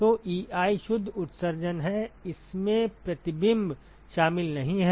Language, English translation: Hindi, So, Ei is the net emission, this is does not include the reflection